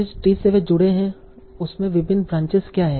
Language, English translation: Hindi, What are the different branches in that tree by which they are connected